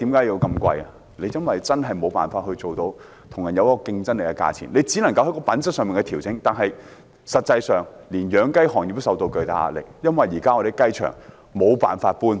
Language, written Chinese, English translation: Cantonese, 因為在香港真的無法做到具競爭力的價錢，我們只能在品質上作出調整，但實際上，連養雞業也承受巨大壓力，因為現時養雞場無法搬遷。, Because in Hong Kong it is unable for us to sell at a competitive price and we can only rely more on quality . But in reality even the chicken rearing industry is also under tremendous pressure as the existing chicken farms cannot be relocated